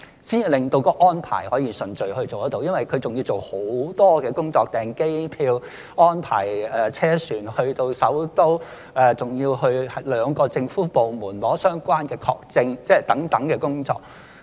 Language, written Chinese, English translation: Cantonese, 因為申請人還要做很多工作：包括訂機票、安排車船到首都，還要去兩個政府部門領取相關的證件等工作。, This is because the relevant parties still have a lot of work to do including reserving air tickets arranging transport to the capital and picking up the relevant documents from two government offices